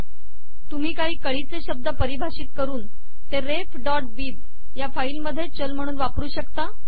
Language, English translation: Marathi, It is possible to define strings and use them as variables in the file ref.bib